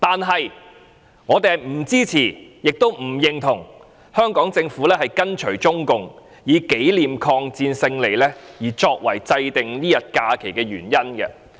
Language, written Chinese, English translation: Cantonese, 可是，我們不支持，亦不認同香港政府跟隨中共，以紀念抗戰勝利作為制訂這天假期的原因。, However we neither support nor agree with the move made by the Hong Kong Government in following the Chinese Communists to designate this day as a holiday for commemorating the victory over the war of resistance